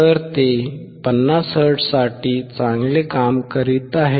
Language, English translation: Marathi, So, it is working well for 50 hertz